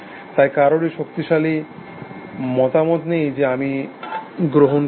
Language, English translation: Bengali, So, no one has the strong opinion I take it essentially